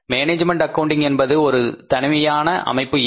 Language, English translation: Tamil, Management accounting is not at all a discipline in itself